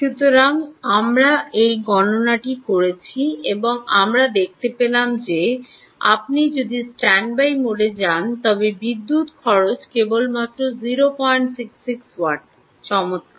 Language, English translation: Bengali, so we did this calculation and ah, we find that if you go to standby mode, the power consumption is ah, just ah, um, only ah, point six, six watts